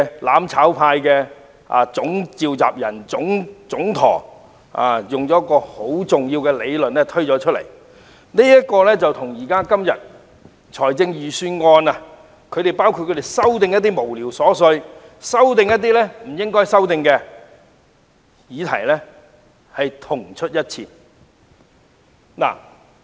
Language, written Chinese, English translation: Cantonese, "攬炒派"的總召集人、總舵主戴耀廷近期提出一項重要理論，與他們今天就預算案提出的一些瑣屑無聊的修正案如出一轍。, Benny TAI general convener and Great Helmsman of the mutual destruction camp has recently put forward an important theory which goes along with the frivolous amendments to the Budget proposed by them today . Benny TAI has floated a 10 - step plan